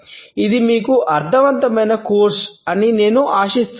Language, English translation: Telugu, I hope that it has been a meaningful course to you